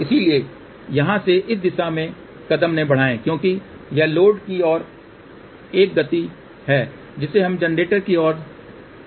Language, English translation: Hindi, So, from here do not move in this direction ok because this is a movement towards load we have to move towards generator